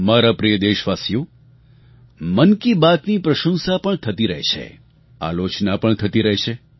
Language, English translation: Gujarati, My dear countrymen, 'Mann Ki Baat' has garnered accolades; it has also attracted criticism